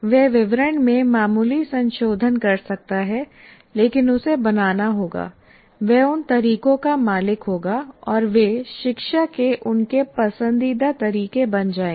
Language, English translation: Hindi, He can make minor modifications to the details, but he must create, he must own those methods and they become his preferred methods of instruction